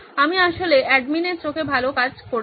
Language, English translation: Bengali, I have actually done a good job in the administration’s eyes